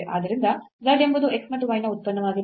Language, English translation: Kannada, So, z is a function of x and y